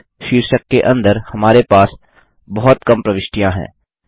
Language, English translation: Hindi, Under the heading Cost, we have very few entries